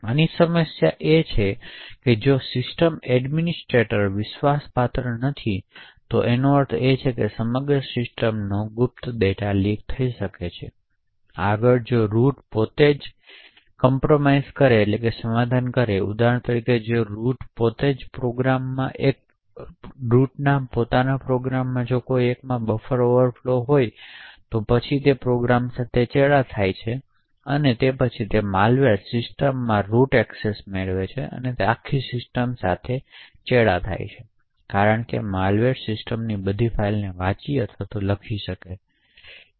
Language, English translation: Gujarati, Now the problem with this is that if the system administrator is an trusted then it means that the entire systems secret data can be leaked, further if the root itself gets compromised for example if there is a buffer overflow vulnerability in one of the root programs, then that program gets compromised and then the malware gets root access to the system and thus compromises the entire system because the malware can read and write to all files in the system